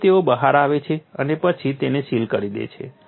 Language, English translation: Gujarati, So, they come out and then sealed it